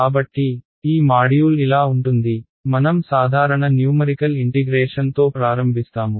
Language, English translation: Telugu, So, that is going to be the flow in this module, we start with simple numerical integration right